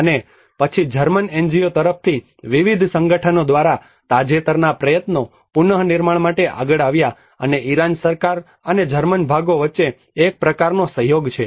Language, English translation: Gujarati, And then the recent efforts by various organizations from the German NGOs came forward to reconstruction and there is a kind of collaboration between the Iran government and as well as the German parts